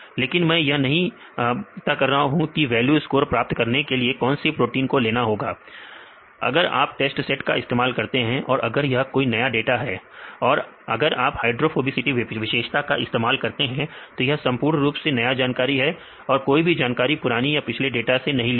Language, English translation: Hindi, But we do not know which proteins they consider to derive the values if you use this test set even your data set is new if you use the hydrophobicity as a features then the values that are included in this test, but we are completely new data so; that means, this data is totally new no information is taken from that particular data right